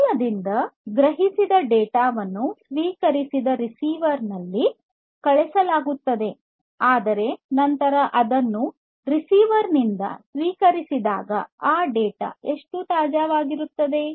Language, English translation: Kannada, So, from the source till the receiver the data that is sensed is sent at the receiver it is received, but then when it is received at the receiver how much fresh that data is